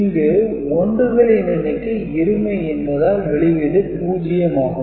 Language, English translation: Tamil, So, three 1s are there, so the output is 1